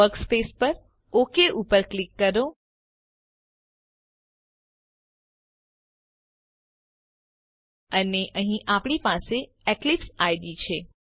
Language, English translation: Gujarati, Click Ok at the workspace and here we have the Eclipse IDE